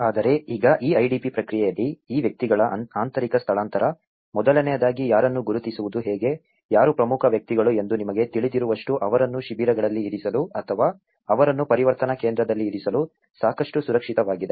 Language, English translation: Kannada, But now in this IDP process, the internal displacement of these persons, first of all how to identify whom, who is the most important people to be you know secured enough to put them in the camps or to put them in the transitional centre